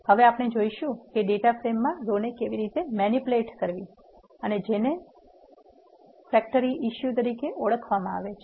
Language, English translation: Gujarati, now we will see how to manipulate the rows in the data frame and what is called as a factory issue